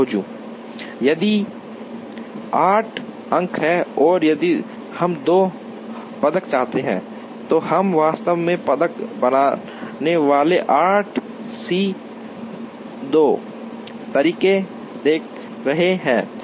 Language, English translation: Hindi, Now, if there are 8 points and if we want 2 medians, we are looking at 8 C 2 ways of actually creating the medians